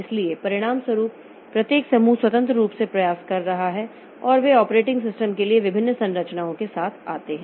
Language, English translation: Hindi, So, as a result, each group is trying in an independent fashion and they come up with different structures for the operating systems